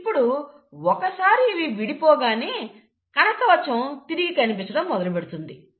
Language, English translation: Telugu, And then, once they are separated, the nuclear envelope restarts to appear